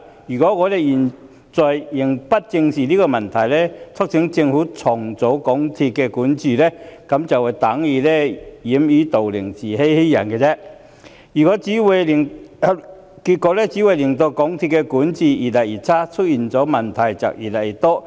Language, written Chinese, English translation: Cantonese, 如果我們現在仍不正視問題，促請政府重整港鐵公司的管治，便等於掩耳盜鈴、自欺欺人，結果只會令港鐵公司的管治越來越差，越來越多問題。, Our refusal to squarely address such problems and urge the Government to restructure MTRCLs governance is no different from burying our heads in the sand and deceiving ourselves . The only result is that MTRCLs governance will keep deteriorating with more and more problems